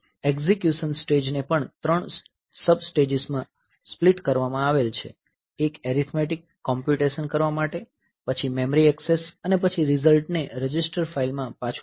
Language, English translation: Gujarati, So, execute stage is also split into three sub stages one for performing arithmetic computation, then memory access and then write result back to register file